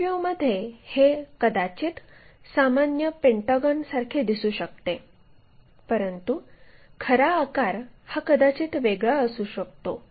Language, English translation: Marathi, In the front view, it might look like a regular pentagon, but true shape might be different thing